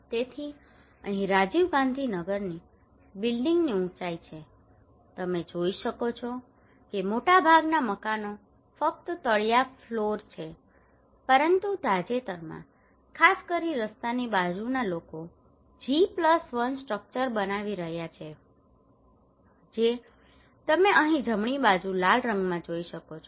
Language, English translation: Gujarati, So here is a building height in Rajiv Gandhi Nagar you can see the most of the houses are ground floor only, but recently particularly close to the roadside people are constructing G+1 structure that is you can see in red here in the right hand side